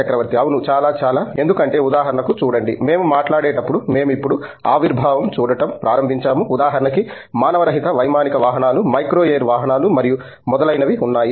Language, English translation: Telugu, Yeah, very much, very much because see for example, as we speak we are now beginning to see emergence of for example, unmanned aerial vehicles, micro air vehicles and so on